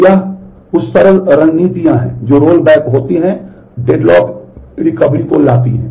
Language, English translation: Hindi, So, these are some of the simple strategies that roll back the deadlock recovery can be done